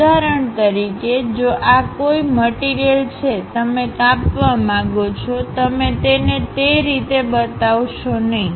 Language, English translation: Gujarati, For example, if the object is this; you want to cut, you do not just show it in that way